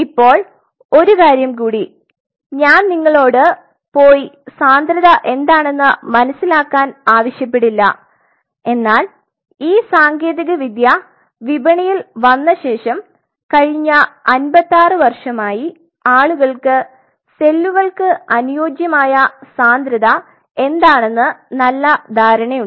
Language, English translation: Malayalam, Now one more thing like I will not ask you really to go and figure out what is densities, but people over the years almost last 56 years since this technique is theory in the market people have a fairly good idea about respective densities of the cells where they will fit in